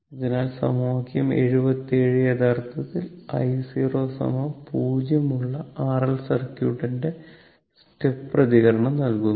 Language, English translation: Malayalam, So, equation 77 actually give the step response of the R L circuit with I 0 is equal to 0